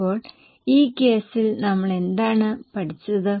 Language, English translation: Malayalam, So, what have we learned in this case